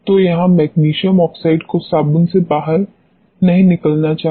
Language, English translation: Hindi, So, this is where the magnesium oxide should not leach out of the soaps